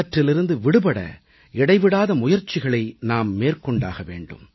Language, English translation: Tamil, To free ourselves of these habits we will have to constantly strive and persevere